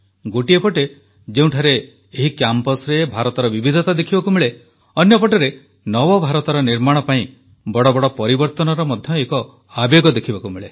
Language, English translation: Odia, In these campuses on the one hand we see the diversity of India; on the other we also find great passion for changes for a New India